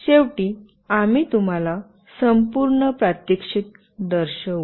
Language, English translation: Marathi, And finally, we will show you the whole demonstration